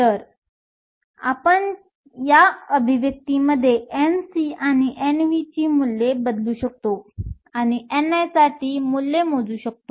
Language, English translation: Marathi, So, we can substitute these values of N c and N v in this expression and calculate the value for n i